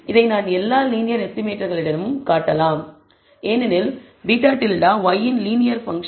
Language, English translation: Tamil, Moreover you can show that among all linear estimators because beta hat is a linear function of y